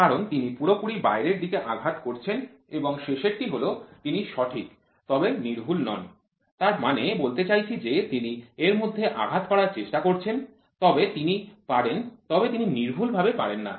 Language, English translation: Bengali, So, he is completely hitting way out and the last one is he is accurate, but not precise; that means, to say he is trying to hit within it, but he can he is not precisely hitting